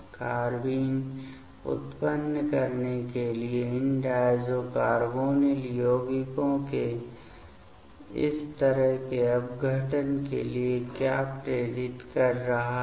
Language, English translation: Hindi, What is motivating for such kind of decompositions of these diazo carbonyl compounds to generate the carbine